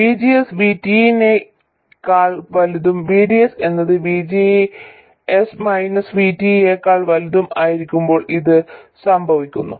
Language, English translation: Malayalam, But all we need to know is that VGS has to be greater than VT for the transistor to be on and VDS has to be greater than VGS minus VT